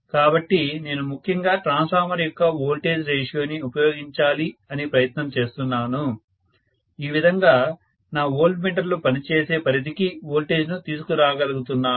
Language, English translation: Telugu, So I am essentially trying to use the services of the voltage ratio of a transformer, so that I am able to bring the voltage down to the range where my voltmeters would work